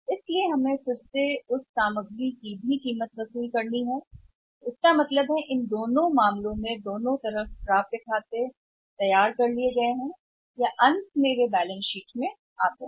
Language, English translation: Hindi, So, we again have to recover the price of those goods also so it means in both the case we both the sides accounts receivables RB generated or they are coming up for their appearance and finally they come to the balance sheet